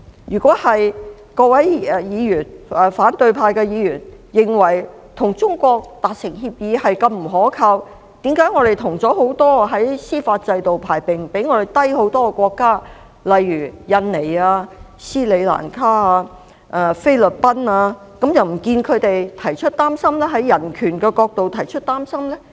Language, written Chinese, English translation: Cantonese, 如果各位反對派議員認為與中國達成協議是如此不可靠，為何我們跟很多司法制度排名比香港低很多的國家簽訂協議，卻不見他們從人權的角度表示憂慮呢？, If Members of the opposition camp consider an agreement with China so unreliable then why have they not expressed concerns over human rights when such agreements were signed with countries whose judicial systems ranked way below Hong Kong such as Indonesia Sri Lanka and the Philippines?